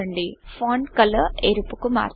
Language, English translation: Telugu, Change the font color to red